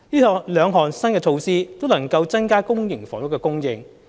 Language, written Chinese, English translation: Cantonese, 這兩項新措施，都能夠增加公營房屋的供應。, Both new measures will increase the supply of public housing